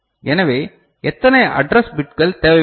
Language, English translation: Tamil, So, how many address bits will be required